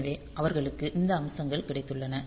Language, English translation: Tamil, So, they have got these features